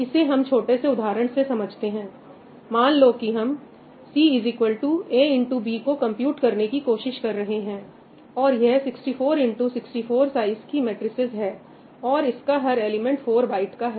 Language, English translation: Hindi, let us take a small example of matrix multiply – let us say we are trying to compute C is equal to A times B, and let us say that all of these are 64 cross 64 size matrices and each element is, let us say, 4 bytes